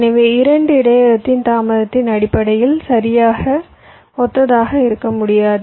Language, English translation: Tamil, so no two buffers can be exactly identically in terms of the delays